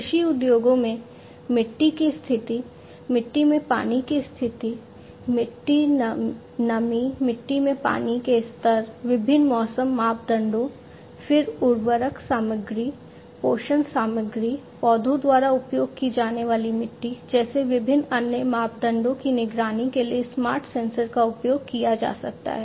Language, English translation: Hindi, In the agricultural industries, you know, smart sensors can be used for monitoring the soil condition, water condition in the soil, soil, moisture, water level in the soil, different weather parameters, then different other parameters such as the fertilizer content, the nutrition content of the soil to be used by the plants and so on